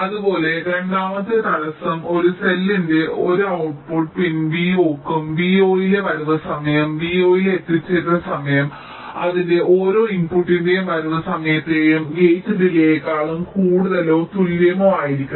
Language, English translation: Malayalam, this is one similarly second constraint will be: for every output pin v zero of a cell, the arrival time at v zero, arrival time at v zero should be greater than or equal to the arrival time of each of its inputs plus the gate delay